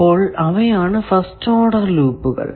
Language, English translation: Malayalam, The first thing is called first order loop